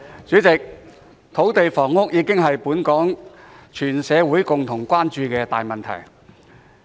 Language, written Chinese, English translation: Cantonese, 主席，土地房屋已成為本港全社會共同關注的大問題。, President land and housing supply has become a major issue of common concern to the community of Hong Kong at large